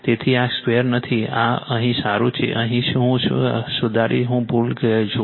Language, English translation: Gujarati, So, this is not a square this is here well here I correct here I forgot